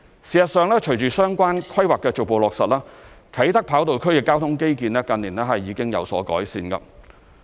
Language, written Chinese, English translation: Cantonese, 事實上，隨着相關規劃的逐步落實，啟德跑道區的交通基建近年已經有所改善。, As a matter of fact with the gradual implementation of the relevant planning the transport infrastructure in the Kai Tak runway area has been improved in recent years